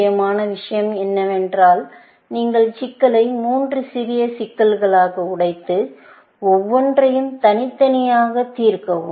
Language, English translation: Tamil, The important thing is that you have broken the problem down into three smaller problems, and solve them independently, of each other